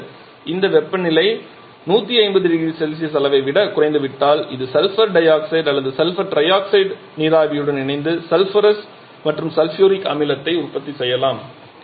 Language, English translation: Tamil, Now if the temperature becomes lower than this level of 150 degree Celsius then this sulphur dioxide or sulphur trioxide can get combined with the water vapour to produce sulphuric and sulphuric acid